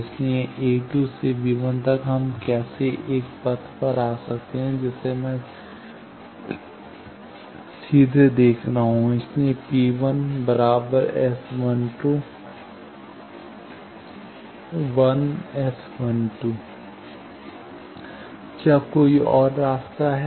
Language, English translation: Hindi, So, from a 2 to b 1 how we can come one path I am seeing directly, so P 1 is S 12 1 S 12; is there any other path